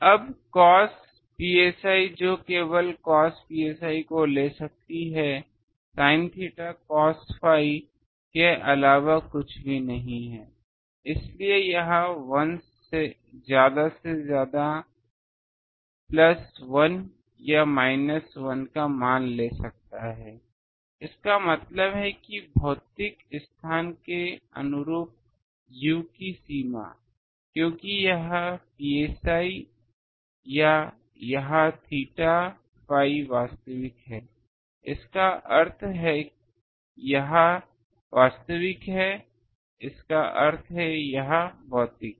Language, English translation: Hindi, Now cos phi cos psi that can take only cos psi is nothing but sin theta cos phi, so that can take value plus 1 or minus 1 at the most, That means, the range of u corresponding to physical space, because this psi or this theta phi real means this is real means this is physical